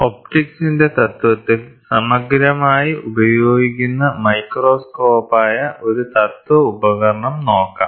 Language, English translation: Malayalam, So, let us look at a principle device, which is a microscope, which is exhaustively used which works on the principle of optics